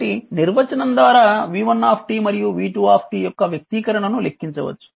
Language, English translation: Telugu, So, by definition we can calculate the expression for v 1 t and v 2 t